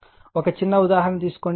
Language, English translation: Telugu, So, take a one small take a simple example